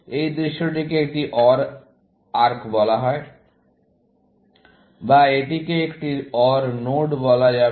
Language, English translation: Bengali, This view is called an OR arc, or this, would be called as an OR node